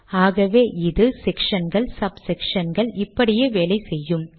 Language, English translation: Tamil, So this works for sections, sub sections and so on